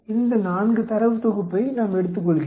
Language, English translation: Tamil, We take these 4 data set